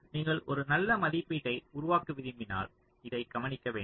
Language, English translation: Tamil, so when you want to make a good estimate, we will have to look into this